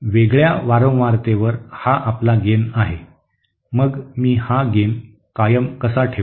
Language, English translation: Marathi, At a different frequency I have this as the gain, so how can I keep my gain constant